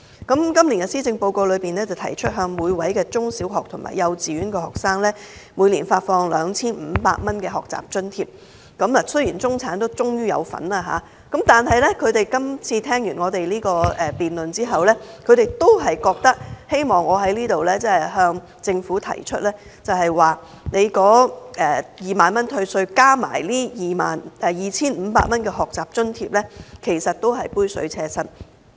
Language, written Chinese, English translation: Cantonese, 今年的施政報告提出向每位幼稚園、小學及中學的學生每年發放 2,500 元的學習津貼，雖然中產終於受惠，但聽畢我們辯論後，他們都希望我在這裏向政府提出 ，2 萬元退稅額加上 2,500 元的學習津貼是杯水車薪。, This year the Policy Address has proposed an annual student grant of 2,500 for each kindergarten primary school and secondary school student . Though middle - class families will finally be benefited yet after listening to our debate they want me to tell the Government that the tax reduction of 20,000 plus the student grant of 2,500 is far from enough